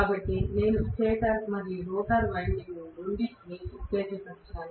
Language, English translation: Telugu, So, I have excited both stator as well as rotor windings